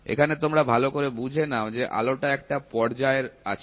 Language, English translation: Bengali, Here please understand that the light are in phase